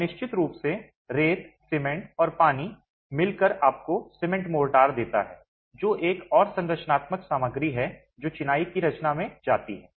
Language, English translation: Hindi, And of course, sand, cement and water together gives you the cement motor, which is another structural material that goes into composing masonry